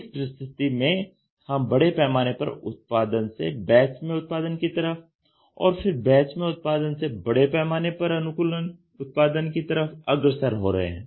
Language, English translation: Hindi, So, in this scenario we are pushed from mass production to batch production to mass customised production